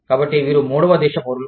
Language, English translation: Telugu, So, this is the third country nationals